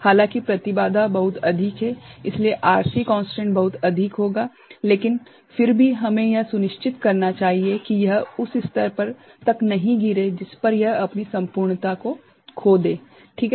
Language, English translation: Hindi, Though the impedance is very high, so RC constant will be very high, but still we must ensure that it does not fall to that level that the integrity is lost, is it ok